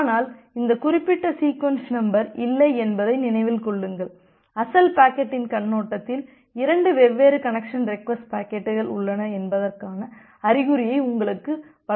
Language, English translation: Tamil, But remember that this particular sequence number is not there, in the original packet this is just to give you an indication that well there are 2 different connection request packets